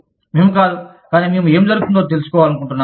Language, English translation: Telugu, We would not, but we will, we would like to know, what is going on